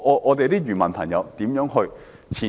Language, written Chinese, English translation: Cantonese, 我們的漁民朋友如何前進？, How can our fishermen make any progress?